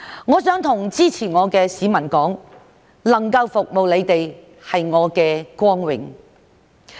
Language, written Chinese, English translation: Cantonese, 我想向支持我的市民說，能夠服務你們是我的光榮。, I wish to say to the people who support me that it is my honour to be able to serve them